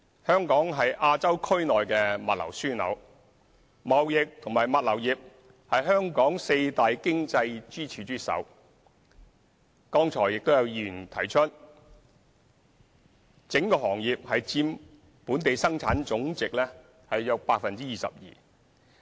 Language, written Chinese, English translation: Cantonese, 香港是亞洲區內的物流樞紐，貿易及物流業是香港四大經濟支柱之首，剛才有議員提出，整個行業佔本地生產總值約 22%。, Hong Kong is a logistics hub in Asia and the trading and logistics industry ranks first among the four major economic pillars of Hong Kong . A Member has just mentioned that the entire industry accounts for about 22 % of the Gross Domestic Product